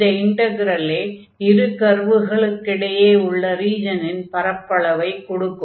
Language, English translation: Tamil, So, this integral will give us the area of the integral of the region bounded by these two curves